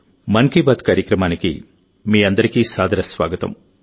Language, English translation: Telugu, A warm welcome to all of you in 'Mann Ki Baat'